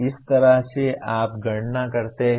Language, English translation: Hindi, That is how do you calculate